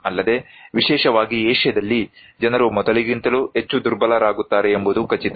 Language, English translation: Kannada, Also, in particularly in Asia is, of course, making people more vulnerable than before that is for sure